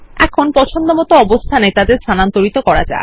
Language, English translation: Bengali, Now we will move them to the desired location